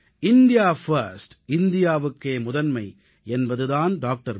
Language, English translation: Tamil, "India First" was the basic doctrine of Dr